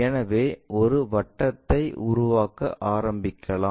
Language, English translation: Tamil, So, let us begin constructing a circle